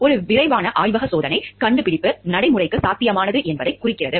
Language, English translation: Tamil, A quick laboratory check indicates that the innovation is practicable